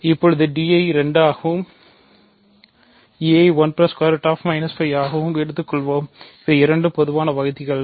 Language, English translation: Tamil, So, now let us take d to be 2 and e to be 1 plus square root minus 5, these are both common divisors, ok